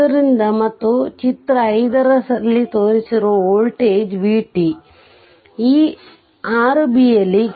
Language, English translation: Kannada, And the voltage v t shown in figure 5 this 6 b